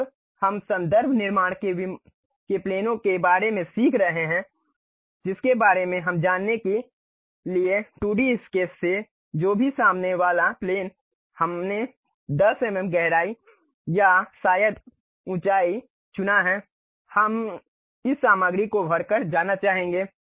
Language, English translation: Hindi, When we are learning more about planes of reference constructing that we will learn about that, but from the 2D sketch whatever the plane the front plane we have chosen 10 mm depth or perhaps height we would like to really go by filling this material